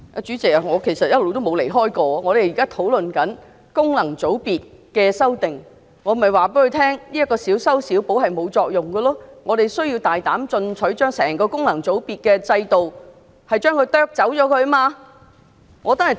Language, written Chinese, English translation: Cantonese, 主席，其實我一直也沒有離題，我們現在討論有關功能界別的修訂，所以我告訴局長，這樣的小修小補是沒有作用的，我們須大膽進取，將整個功能界別制度削去。, President in fact all along I have never strayed from the question . We are now discussing the amendments to FCs so I told the Secretary that this kind of patch - up is useless . We must be bold and ambitious and slice off the entire system of FCs